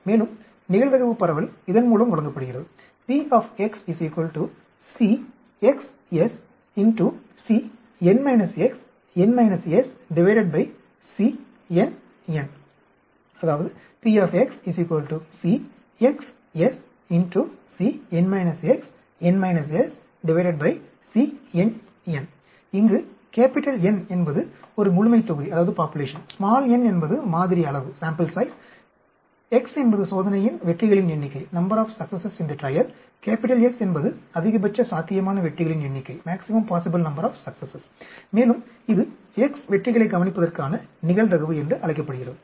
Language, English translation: Tamil, And the probability distribution is given by this C s x, C N minus S by n minus x, c N n, where N is a population, n is the sample size, x is the number of successes in the trial, S is the maximum possible number of successes, and this is called the probability of observing x successes